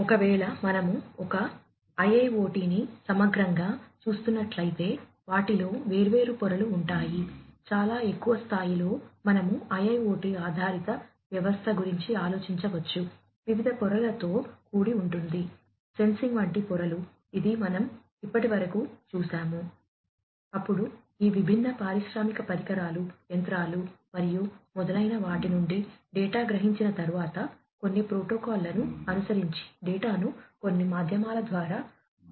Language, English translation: Telugu, If, we are looking at a IIoT holistically, there are different layers, at a very high level, we can think of an IIoT based system, to be comprised of different layers; layers such as sensing, which is what we have already gone through so far